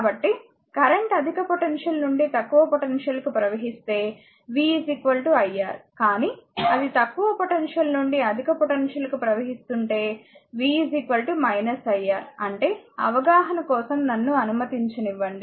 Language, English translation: Telugu, So, if the current flows from a higher potential to lower potential v is equal to iR, but if it is current flows from a lower potential to higher potential, v will be is equal to minus iR; that means, your that means, let me let me just for your understanding